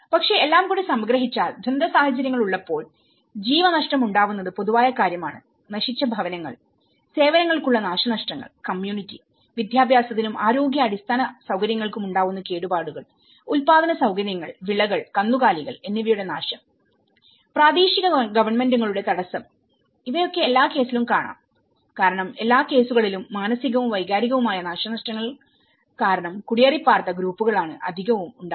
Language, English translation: Malayalam, (Refer Slide : 29:49) But summarizing, putting altogether is when we have these all the disaster context, we have the loss of lives which is a common context, destroyed housing, damages to services, damages to community education and health infrastructure, destruction of productive facilities, crops and cattle, disruption of local governments because in all the cases there are groups which are migrant groups which have migrated because of terror aspects, psychological and emotional damages